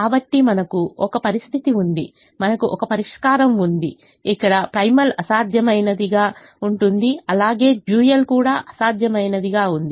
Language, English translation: Telugu, so we have a situation, we have a solution, where the primal is infeasible as well as the dual is infeasible